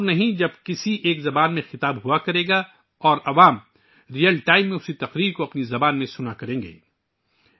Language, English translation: Urdu, The day is not far when an address will be delivered in one language and the public will listen to the same speech in their own language in real time